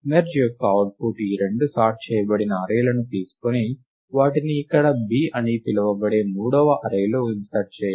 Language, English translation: Telugu, The output of merge is to take these two sorted arrays, and insert them into a third array, which is called b here right